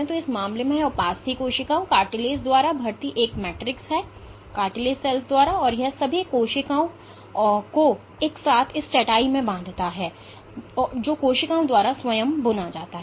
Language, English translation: Hindi, So, in this case this is a matrix recruited by the cartilage cells and it binds all the cells together into this through this mat which is woven by the cells themselves